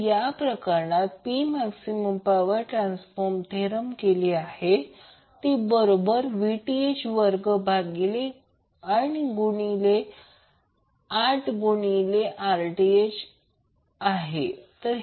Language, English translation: Marathi, In this case P max the maximum power which would be transferred would be equal to Vth square by 8 into Rth